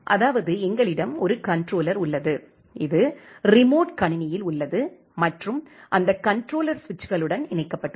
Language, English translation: Tamil, That means, we are having a controller which is there in the remote machine and that controller is connected to the switches